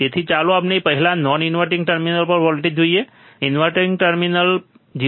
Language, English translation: Gujarati, So, let us first see voltage at non inverting terminal, voltage at the inverting terminal 0